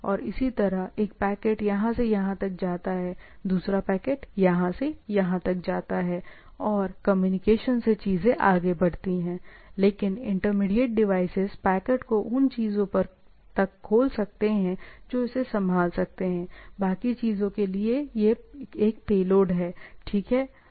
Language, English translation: Hindi, And similarly, one packet moves from here to here, other packet moves from here to here and things goes on into in the communication the communication, but the intermediate devices can open the packets up to the things which is which it can handle, right, rest is a payload for the things, right